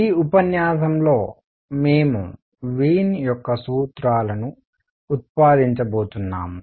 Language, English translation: Telugu, In this lecture we are going to derive Wien’s formulas